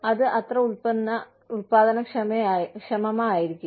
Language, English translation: Malayalam, That may not be, as productive